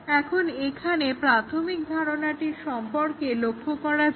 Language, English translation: Bengali, Now, let us look at the basic idea here